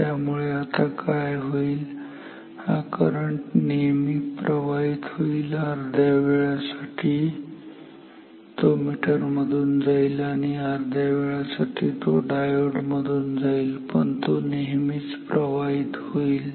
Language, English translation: Marathi, So, now what happens, this current I can flow always half of the time it flows through the meter half of the time it flows through this diode, but it can flow always